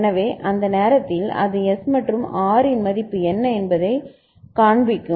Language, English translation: Tamil, So, at that time it will see what is the value of S and R